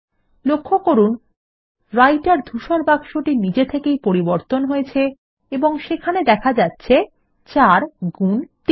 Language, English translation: Bengali, Notice that the Writer gray box has refreshed automatically and it displays 4 into 3